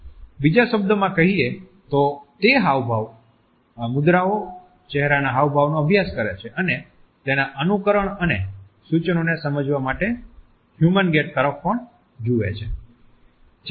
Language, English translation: Gujarati, In other words, it studies gestures, postures, facial expressions and also looks at the human gate to understand its implications and suggestions